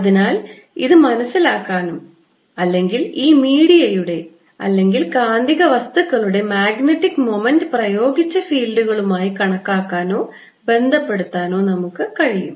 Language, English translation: Malayalam, so we want to understand this or be able to calculate or relate the magnetic moment of these media right magnetic material to apply it, fields and so on